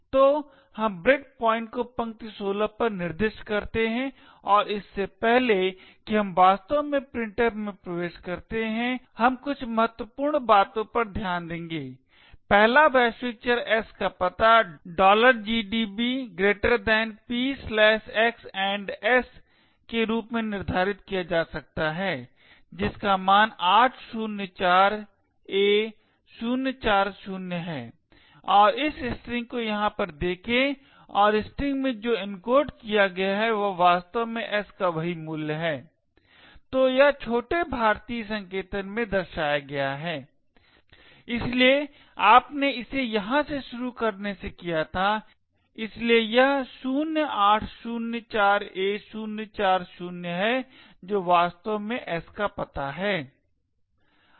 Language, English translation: Hindi, So let us run the program in gdb we specify a break point over so we specify break point at line 16 and before we actually enter into the printf we will take note of a few important things, first the address of the global variable s can be determined as follows p/x &s which has a value of 804a040 and look at this string present over here and what has been encoded in the string is exactly the same value of the s, so this is represented in little Indian notation therefore you did it from the from starting from here so it is 0804a040 which exactly is the address of s